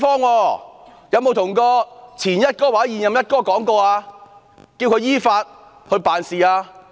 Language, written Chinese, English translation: Cantonese, 她有否叫前"一哥"或現任"一哥"依法辦事呢？, Did she ask the former or incumbent Commissioner of the Police to act in accordance with the law?